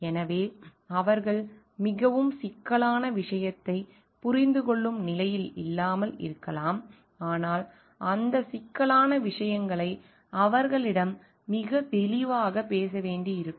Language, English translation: Tamil, So, they may not be in a position to understand very complex thing, but that complex things may need to be spoken to them in a very lucid way